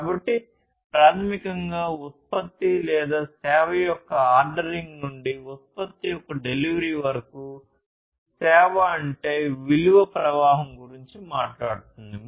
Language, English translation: Telugu, So, basically starting from the ordering of the product or the service to the delivery of the product or the service is what the value stream basically talks about